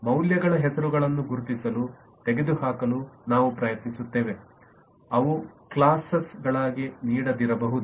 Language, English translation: Kannada, we will try to identify, eliminate the names of values they may not give as classes